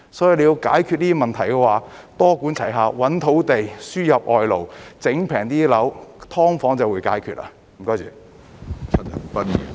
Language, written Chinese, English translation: Cantonese, 所以，要解決這些問題，便要多管齊下，覓土地、輸入外勞，令樓價更低廉，"劏房"問題就會得到解決。, So in order to solve these problems we need to take a multi - pronged approach by finding land and importing foreign labour . Then the property prices will come down and the SDU problems will be solved